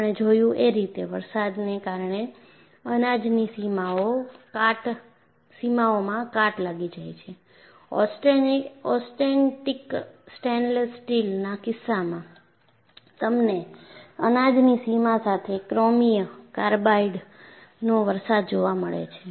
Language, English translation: Gujarati, We have seen the grain boundaries are corroded due to precipitation; in the case of austenitic stainless steel, you find precipitation of chromium carbide, along the grain boundary